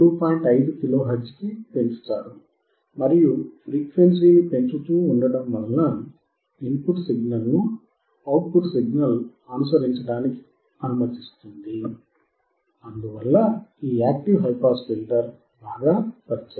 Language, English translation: Telugu, 5 kilo hertz, and you will see that keep keeping increasing the frequency will also allow the output signal to follow the input signal, and thus, this active high pass filter is working well